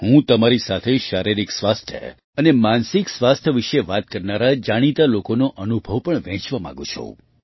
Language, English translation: Gujarati, I also want to share with you the experiences of wellknown people who talk about physical and mental health